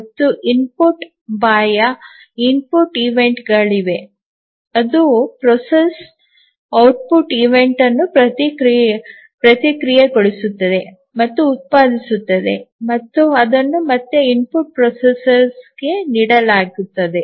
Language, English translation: Kannada, And there are input external input events, it processes and produces output event and that is again fed back to the input processor